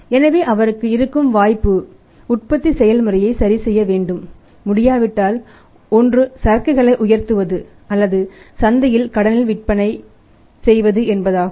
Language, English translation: Tamil, So, his option is either to adjust the manufacturing process if it is not possible to adjust the manufacturing process then what is option either to raise the inventory or sell on credit in the market